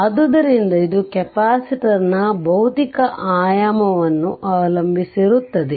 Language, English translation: Kannada, So, it depends on the physical dimension of the capacitor